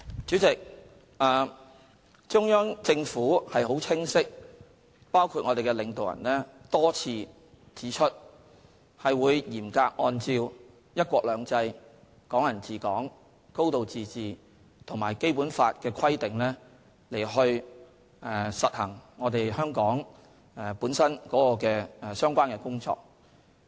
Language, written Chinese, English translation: Cantonese, 主席，中央政府和我們的領導人多次清晰指出，會嚴格按照"一國兩制"、"港人治港"、"高度自治"及《基本法》的規定，讓香港處理本身的相關工作。, President the Central Government and our leaders have repeatedly and unequivocally pointed out that Hong Kong will be allowed to run its own affairs in strict accordance with the principles of one country two systems Hong Kong people administering Hong Kong and a high degree of autonomy and the provisions of the Basic Law